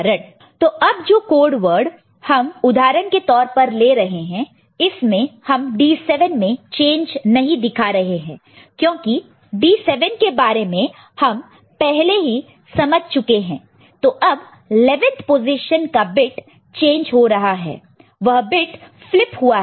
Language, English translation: Hindi, So, the example that we are taking the code word, right we consider for a change not D 7; D 7 is already understood that 11th position the bit has changed, bit has flipped